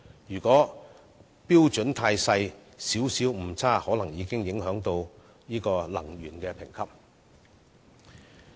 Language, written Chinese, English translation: Cantonese, 如果標準過分嚴謹，些微誤差已有可能影響產品的能源效益評級。, If the standard is overly stringent a minor error is already likely to affect the energy efficiency grading of a product